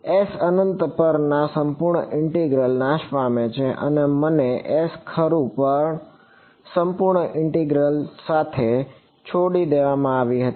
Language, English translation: Gujarati, Integrals over S infinity vanish and I was left with the integral over S right